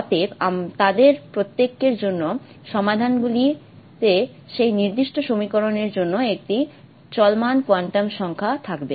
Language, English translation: Bengali, Therefore the solutions for each one of them will have a running quantum number for that particular equation